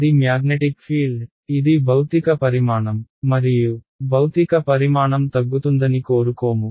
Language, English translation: Telugu, It is a magnetic field, it is a physical quantity and we do not expect a physical quantity to blow up